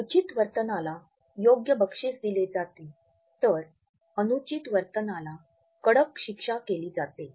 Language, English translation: Marathi, An appropriate behavior is awarded where, as an inappropriate behavior is punished severely